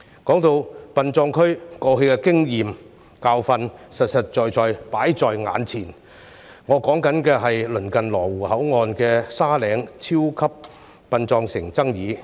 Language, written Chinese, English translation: Cantonese, 說到殯葬區，過去的經驗教訓實實在在放在眼前，我所指的是鄰近羅湖口岸"沙嶺超級殯葬城"的爭議。, Speaking of the permitted burial grounds the lesson learnt from past experience is right in front of us what I mean was the dispute arisen from the Sandy Ridge Super Cemetery City near the Lo Wu Control Point